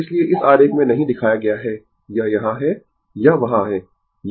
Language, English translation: Hindi, So, not shown in this figure, this is here, it is there